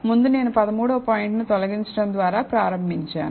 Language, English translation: Telugu, So, earlier I started by removing 13th point